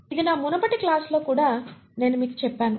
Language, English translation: Telugu, This is something I told you even my previous class